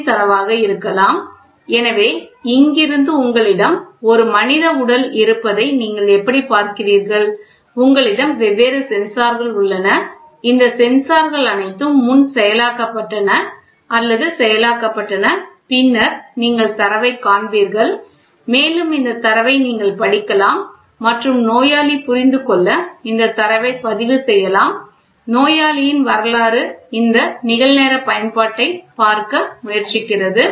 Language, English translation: Tamil, So, how are these see you have a human body from here you have different sensors, all these sensors are pre processed or processed and then you get the data displayed and this data you can read as well as record this data for patient to understand the patient history try to look at this real time application